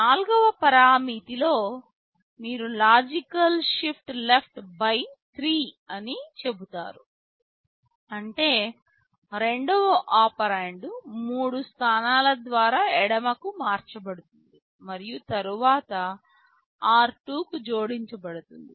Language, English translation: Telugu, In the fourth parameter you say logical shift left by 3; that means the second operand is shifted left by three positions and then added to r2